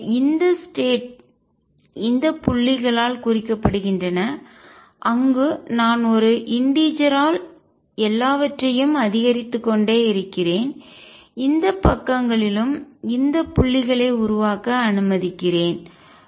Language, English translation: Tamil, So, these states are represented by these dots where I just keep increasing everything by an integer let me make this dots on this sides also